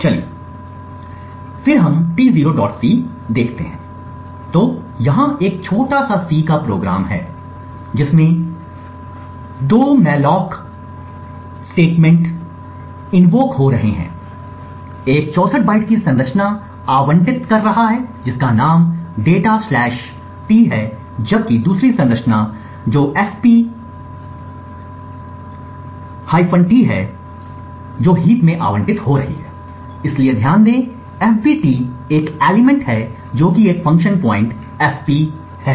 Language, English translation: Hindi, c, okay so this essentially is a very small C program where we have two malloc statements that gets invoked, one to allocate a structure data T which is of 64 bytes and has name, the other one is F which essentially allocates in the heap this structure fp T, so note that FB T has just one element which is a function pointer fp